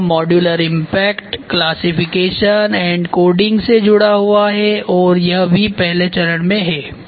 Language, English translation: Hindi, So, from modular impact there is a connect to the classification and coding also this is phase I